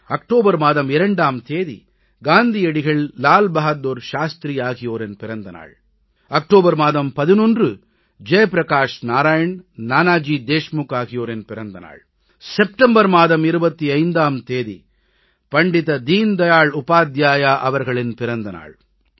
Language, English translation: Tamil, 2nd October is the birth anniversary of Mahatma Gandhi and Lal Bahadur Shastri, 11th October is the birth anniversary of Jai Prakash Narain and Nanaji Deshmukh and Pandit Deen Dayal Upadhyay's birth anniversary falls on 25th September